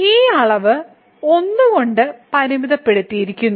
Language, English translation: Malayalam, So, this is this quantity is bounded by 1